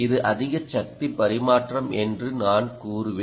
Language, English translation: Tamil, i would say it's more power transfer, transfer of power